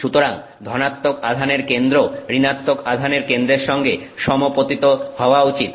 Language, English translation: Bengali, So, center of positive charge should coincide with center of negative charge